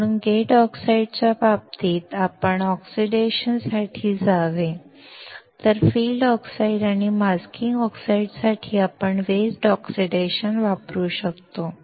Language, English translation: Marathi, So, in the case of gate oxide, we should go for dry oxidation, whereas for field oxide or masking oxides, we can use the wet oxidation